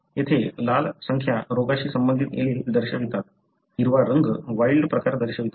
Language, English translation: Marathi, Here the red numbers denote the disease associated allele, the green one represent the wild, wild type